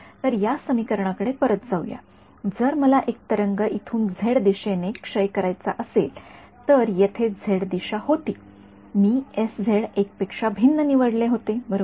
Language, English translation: Marathi, So, let us go back to this equation over here this was if I wanted to decay a wave in the z direction right this was the z direction over here I chose an s z to be different from 1 correct